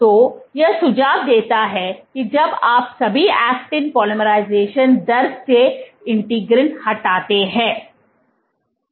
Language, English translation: Hindi, So, what this suggests is that when you remove the integrins over all the actin polymerization rate